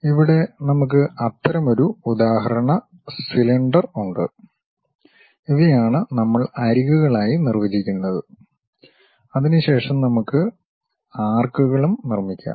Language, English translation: Malayalam, Here we have such an example cylinder, if these are the points what we are defining as edges; then we can construct by arcs also